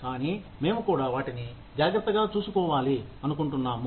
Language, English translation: Telugu, But, we also want to take care of them